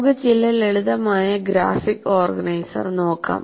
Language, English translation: Malayalam, Now, let us look at some simple graphic organizer